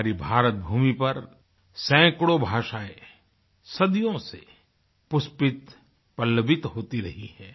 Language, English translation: Hindi, Hundreds of languages have blossomed and flourished in our country for centuries